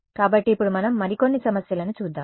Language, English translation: Telugu, So, now let us look at a few more issues